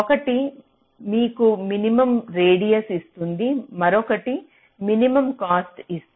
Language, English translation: Telugu, one will give you minimum radius, other will give you minimum cost